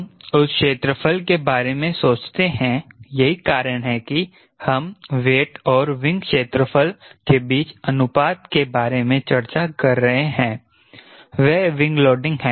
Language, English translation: Hindi, that is why we are discussing about ratio between weight and the wing area, that is, wing loading